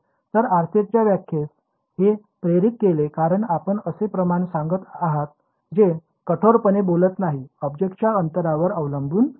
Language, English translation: Marathi, So, this is actually what motivated the definition of RCS because you are reporting a quantity that does not strictly speaking depend on the distance to the object